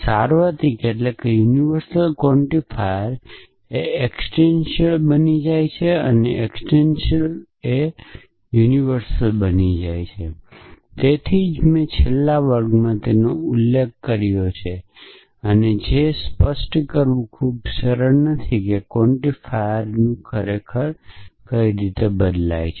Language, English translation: Gujarati, Universal quantifier becomes existential and existential becomes universal, which is why I had mention in the last class at it is not very easy to identify what is really the nature of the quantifier